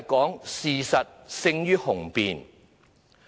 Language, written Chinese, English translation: Cantonese, 就是事實勝於雄辯。, That is facts speak louder than words